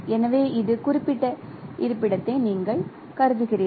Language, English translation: Tamil, So you consider this particular location